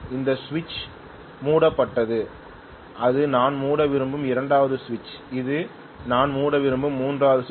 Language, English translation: Tamil, What I am looking at is to close these switches, this switch is closed, this is the second switch which I want to close, this is the third switch which I want to close